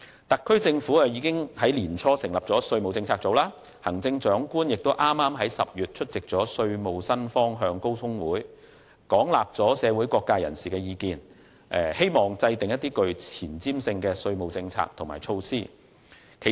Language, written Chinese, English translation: Cantonese, 特區政府已於年初成立稅務政策組，行政長官亦剛於10月出席稅務新方向高峰會，廣納社會各界人士的意見，希望制訂具前瞻性的稅務政策和措施。, The SAR Government established the Tax Policy Unit early this year the Chief Executive attended the Summit on the New Directions for Taxation in October to gauge the views from all sectors with a view to formulating forward - looking tax policies and measures